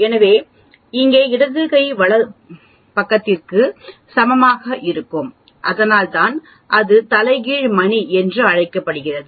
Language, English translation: Tamil, So, the left hand side here will be equal to the right hand side exactly that is why it is called a inverted bell